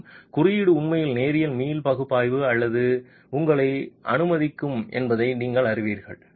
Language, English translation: Tamil, That is the fundamental question and you know that a code will actually allow you to do linear elastic analysis